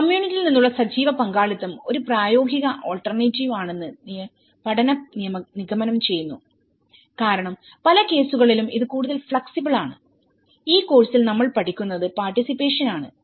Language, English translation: Malayalam, And the study concludes that active participation from the community is a viable alternative because that is more flexible in many of the cases in this course what we are studying is a participation, participation and participation